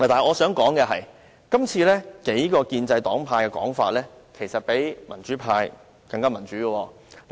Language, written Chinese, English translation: Cantonese, 我想指出的是，就今次事件，數個建制黨派的說法其實比民主派更民主。, I would like to point out that as far as this incident is concerned the stance adopted by some pro - establishment parties is even more democratic than that of the pro - democracy camp